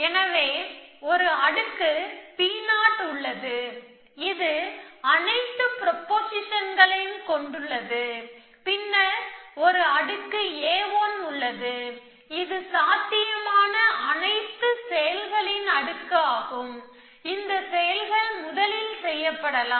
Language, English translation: Tamil, So, there is a layer P 0 which is, which contains all the star prepositions, then there are, there is a layer A 1, which is a layer of all possible actions, which can be done at the first time instance